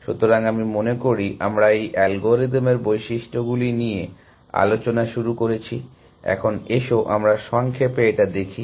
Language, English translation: Bengali, So, I think we are started discussing the properties of this algorithm, but let us recap